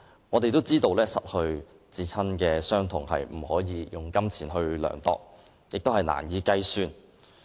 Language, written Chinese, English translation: Cantonese, 我們也知道，失去至親的傷痛，不能用金錢量度，並且難以計算。, As we all know the loss of the beloved can neither be qualified nor calculated in terms of money